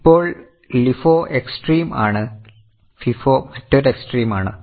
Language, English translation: Malayalam, Now, LIFO is one extreme, FIFO is another extreme